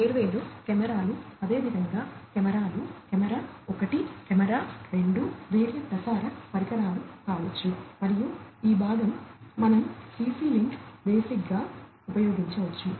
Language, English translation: Telugu, Different cameras likewise cameras, camera 1, camera 2, different other may be transmission devices and this part we could use CC link basic